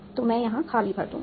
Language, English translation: Hindi, So I will fill in empty here